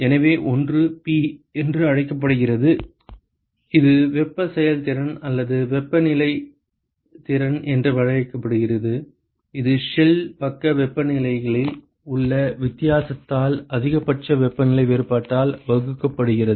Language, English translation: Tamil, So one is called the P which is a thing called the thermal efficiency or the temperature efficiency, defined as the and that is given by the difference in the shell side temperatures divided by the maximum temperature difference ok